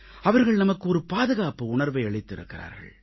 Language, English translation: Tamil, It has bestowed upon us a sense of security